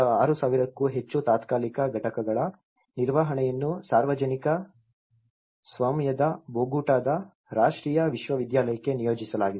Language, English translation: Kannada, The management of the more than 6,000 temporary units was assigned to publicly owned national university of Bogota